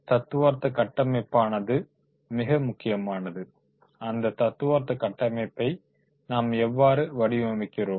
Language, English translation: Tamil, The theoretical framework is very, very important how we design the theoretical framework